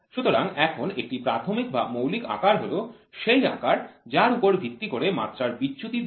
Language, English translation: Bengali, So, now, a basic or a nominal size is defined as a size based on which the dimension deviation are given